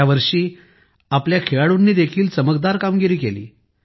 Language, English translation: Marathi, This year our athletes also performed marvellously in sports